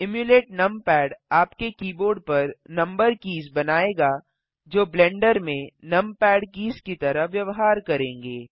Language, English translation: Hindi, Emulate numpad will make the number keys on your keyboard behave like the numpad keys in Blender